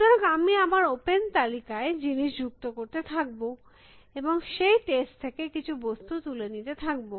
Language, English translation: Bengali, So, I will keep adding things to my open list and keep picking some elements from that test